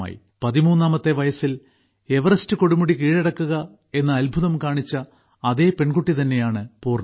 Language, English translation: Malayalam, Poorna is the same daughter of India who had accomplished the amazing feat of done a conquering Mount Everest at the age of just 13